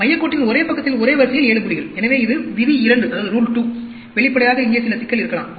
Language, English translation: Tamil, 7 points in row on the same side of the center line, so, this is the rule 2; obviously, there could be some problem here